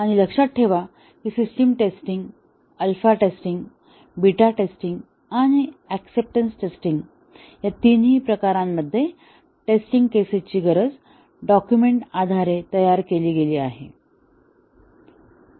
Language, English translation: Marathi, And remember that in all the three types of system testing alpha testing, beta testing and acceptance testing, the test cases are designed based on the requirements document